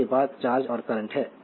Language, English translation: Hindi, Next is the charge and current